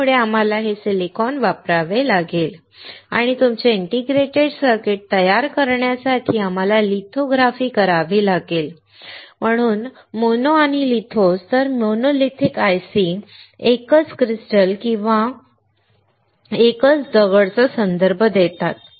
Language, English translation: Marathi, So, we have to use this silicon and we had to do lithography to form your integrated circuit that is why mono and lithos; So, the monolithic ICs refer to a single stone or a single crystal